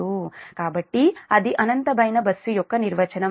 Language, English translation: Telugu, so this should be the definition of the infinite bus